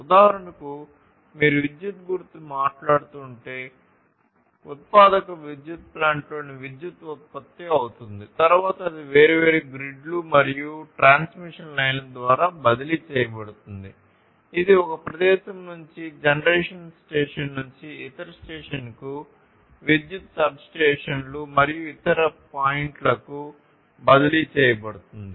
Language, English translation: Telugu, For instance, if you are talking about electricity; electricity gets generated in the generating power plant, then it is transferred through different grids and transmission lines it is transferred from one location from the generation station to elsewhere to this station to the electricity substations and different other points